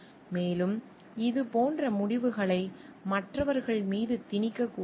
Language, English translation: Tamil, And like decisions should like never be thrusted on others